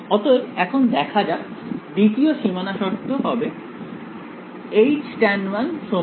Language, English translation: Bengali, So, let us look at it now the second boundary condition is going to be H tan 1 is equal to H tan 2